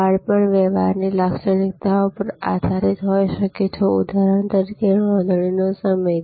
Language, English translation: Gujarati, Fencing could be also based on transaction characteristics, for example time of booking